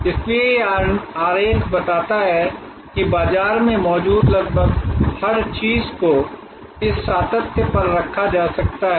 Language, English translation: Hindi, So, this diagram shows that almost everything that is there in the market can be positioned on this continuum